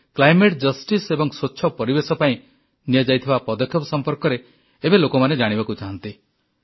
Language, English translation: Odia, It is my firm belief that people want to know the steps taken in the direction of climate justice and clean environment in India